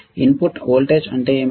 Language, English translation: Telugu, What is the input voltage range